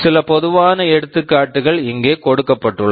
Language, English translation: Tamil, Some typical examples are given here